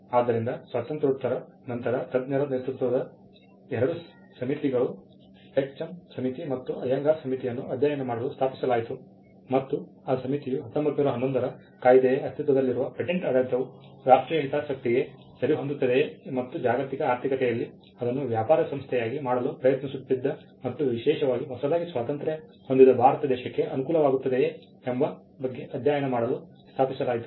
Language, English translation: Kannada, So, post Independence, there were two committees led by experts the Tek Chand committee and the Ayyangar committee which were established to study whether the existing patent regime which was a 1911 Act suited the national interest and more particularly at the stage in which India was a newly independent country and trying to make it is place firm in the global economy and it was found by both the committees that the patent act as it existed does not favor, local and national development